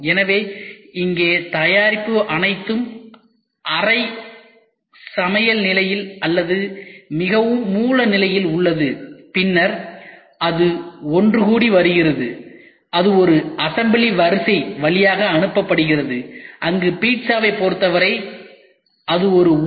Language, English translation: Tamil, So, here the product is all in semi cook state or in a very raw state, then it is all getting assembled it is passed through an assembly line where it is in terms of pizza it is a furnace